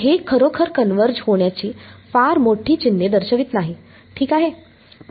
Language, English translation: Marathi, It does not really show very great signs of converging ok